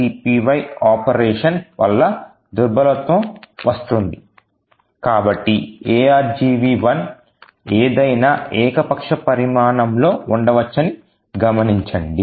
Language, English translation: Telugu, The vulnerability comes due to string copy operation so note that argv 1 could be of any arbitrary size